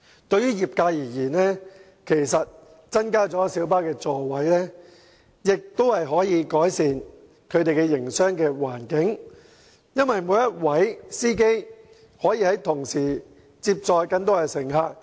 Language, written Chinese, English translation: Cantonese, 對於業界而言，其實增加小巴座位的同時亦可改善其營商環境，因為每一位司機將可接載更多乘客。, From the perspective of the trade increasing the seating capacity of light buses can actually improve the business environment as each driver can pick up a greater number of passengers